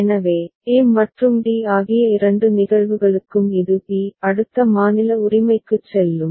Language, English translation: Tamil, So, for both the cases a and d it will go to b next state right